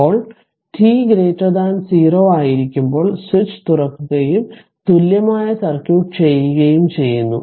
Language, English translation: Malayalam, Now when t greater than 0 the switch is open and the equivalent rc circuit